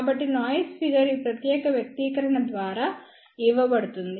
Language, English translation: Telugu, So, noise figure is given by this particular expression